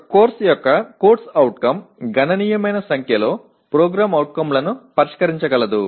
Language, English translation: Telugu, Further a CO of a course can potentially address a significant number of POs